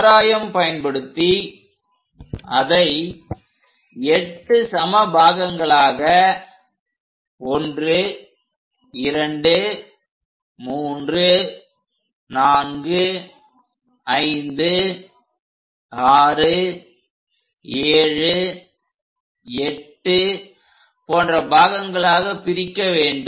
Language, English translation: Tamil, Then divide the circle into 8 equal parts, number them; 1, 2, 3, 4, 5, 6, 7 and 8